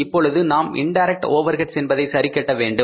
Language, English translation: Tamil, And now we will have to adjust the indirect overheads